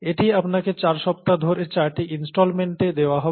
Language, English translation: Bengali, And this would be given to you in four installments over four weeks